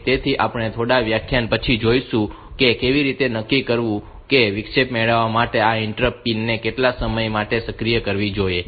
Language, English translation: Gujarati, So, we will see after a few lectures that how to decide like for how much time this interrupts pin should be activated to get an interrupt